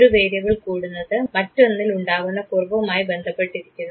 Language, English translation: Malayalam, So, increase in one variable is associated with decrease in the other variable this is called Negative Correlation